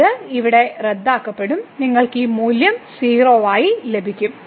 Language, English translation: Malayalam, So, here this gets cancelled and you will get this value as 3